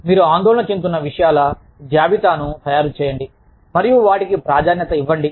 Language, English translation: Telugu, Make a list of the things, that you are worried about, and prioritize them